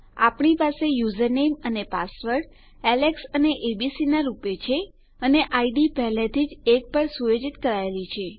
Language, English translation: Gujarati, We have user name and password as Alex and abc and the id has already been set to 1